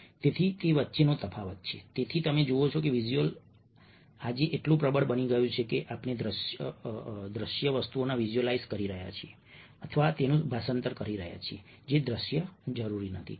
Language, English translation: Gujarati, this is where you see that visual step today become so, so dominant that we are visualizing or translating into visual things which are not necessarily visual